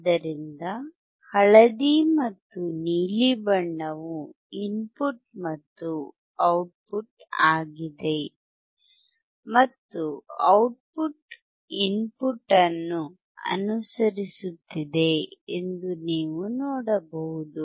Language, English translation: Kannada, So, yellow and blue are the input and output, and you can see that the output is following the input